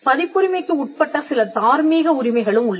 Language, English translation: Tamil, There are also certain moral rights that vest in a copyright